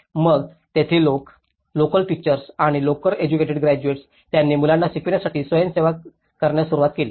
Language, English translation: Marathi, So, here then people, the local teachers or the local educated graduates, they started volunteering themselves to teach to the children